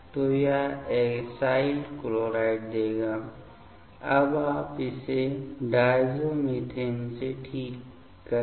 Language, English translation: Hindi, So, that will give the acyl chloride; now you treat it with the diazomethane ok